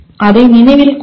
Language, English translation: Tamil, Please remember that